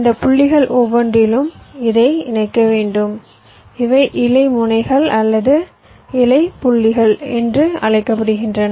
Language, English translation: Tamil, ok, i have to connect this to each of these points and these are called leaf net, leaf nodes or leaf points